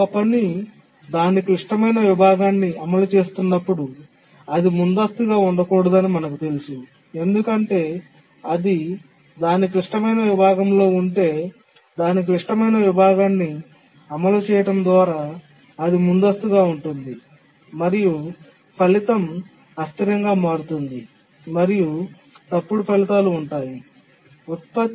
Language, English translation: Telugu, But then we know that when a task is executing its critical section, it should not be preempted because if it is inside its critical section, so executing its critical section and it gets preempted, then the result will become inconsistent, wrong results